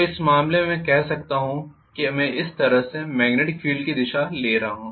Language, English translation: Hindi, So in which case I can say if I am looking at the magnetic field direction like this